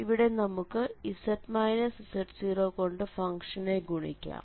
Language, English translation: Malayalam, So, if you multiply both side with z minus z 0 power m